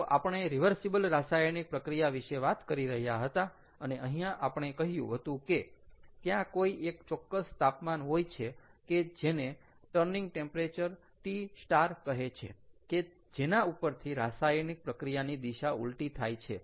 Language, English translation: Gujarati, again, we were talking about reversible reactions, and here we said that there is an, there is a, there exists a certain temperature, the concept of turning temperature, t star, based on which the direction of reaction reverses